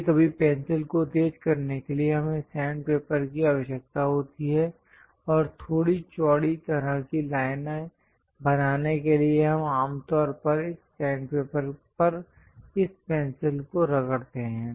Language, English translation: Hindi, To sharpen the pencil sometimes, we require sand paper and also to make it bit wider kind of lines on this sand paper, we usually rub this pencil